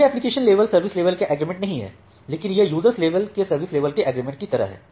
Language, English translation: Hindi, So, this is not application level service level agreement, but this is like user level service level agreement